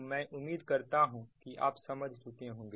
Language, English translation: Hindi, i hope you will understand this